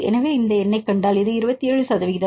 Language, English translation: Tamil, So, if you see these number; this is 27 percent; that is also reasonable